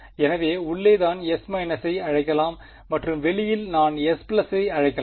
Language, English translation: Tamil, So, the inside one I can call S minus and the outside one I can call S plus right